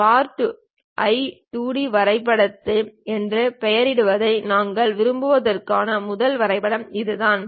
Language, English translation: Tamil, This is the first drawing what we would like to have I am just naming it like Part1 2D drawing